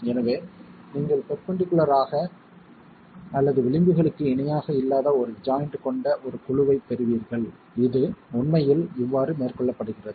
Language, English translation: Tamil, So, you get a panel with a joint which is not perpendicular or parallel to the edges and that's how this is actually been carried out